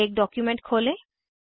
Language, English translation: Hindi, Lets open a document